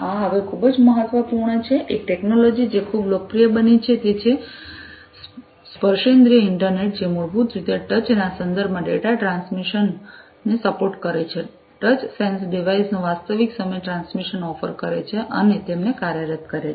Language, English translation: Gujarati, This is very important now a technology, which has become very popular is the tactile internet, which basically supports data transmission in the context of touch, offering real time transmission of touch sense devices and actuating them, right